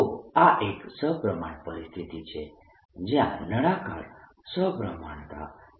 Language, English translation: Gujarati, so this is a symmetry situation where there is a cylindrical symmetry